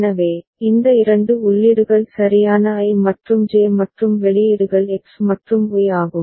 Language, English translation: Tamil, So, these are the two inputs right I and J and the outputs are X and Y